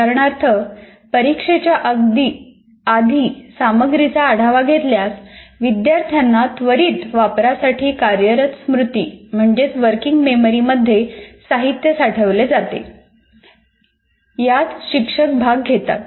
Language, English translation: Marathi, For example, reviewing the material just before test allows students to enter the material into working memory for immediate use